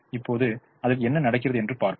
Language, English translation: Tamil, now let us see what happens to that